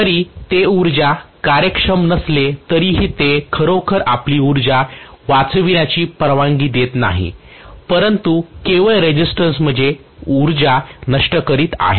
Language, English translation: Marathi, although it is not energy efficient, it is not really allowing you to save energy, it is only dissipating the energy in the resistance